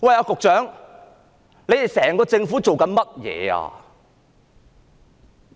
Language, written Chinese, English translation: Cantonese, 局長，整個政府在做甚麼？, Secretary what has the entire Government been doing?